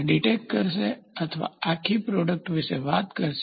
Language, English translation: Gujarati, This will try to dictate or talk about the entire product